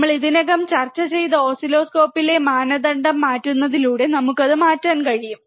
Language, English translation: Malayalam, We can change the it by changing the norm in the oscilloscope, that we have already discussed